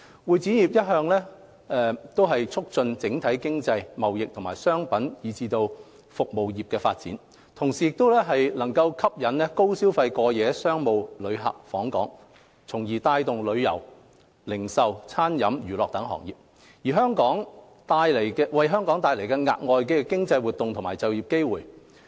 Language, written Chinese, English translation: Cantonese, 會展業一方面促進整體經濟、貿易及商品和服務業的發展，同時吸引高消費過夜商務旅客訪港，帶動旅遊、零售、餐飲、娛樂等行業，為香港帶來額外的經濟活動和就業機會。, The CE industry on the one hand promotes the development of the overall economy trading as well as the products and services industries . At the same time it brings additional economic activities and employment opportunities to Hong Kong by attracting high - spending overnight business visitors to Hong Kong and driving the development of the tourism retail catering and entertainment industries